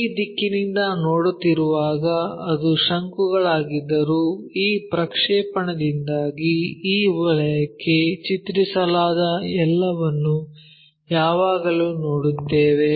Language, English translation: Kannada, When you are looking from this direction though it is a cone which is inclined, but because of this projection we always see everything mapped to this circle